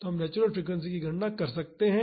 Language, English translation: Hindi, So, we can calculate the natural frequency